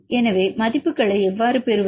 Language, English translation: Tamil, So, how to get the values